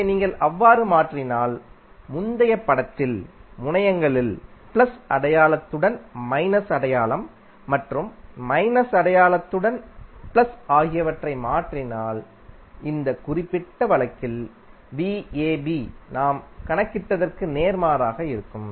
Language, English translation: Tamil, So, you can simply say, if you replace in the previous figure plus with minus sign minus with plus sign v ab will be opposite of what we have calculated in this particular case